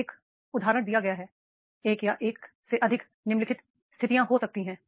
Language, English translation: Hindi, So, one example has been given one or more of the following situations could occur